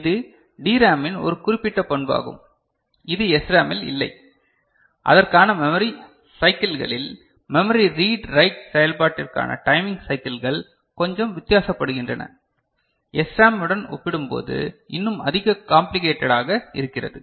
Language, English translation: Tamil, This is one specific characteristics of DRAM, which was not there in SRAM for which the memory cycles that are there, the timing cycles for memory read write operation becomes little bit different, I mean some more complicated compared to SRAM